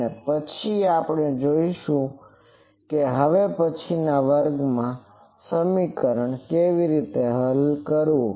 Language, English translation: Gujarati, And then we will see how to solve this equation in the next class